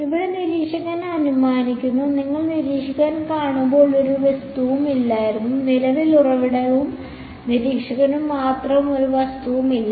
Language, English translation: Malayalam, The observer here’s supposing there was no object what would you observer see, there is no object only the current source and the observer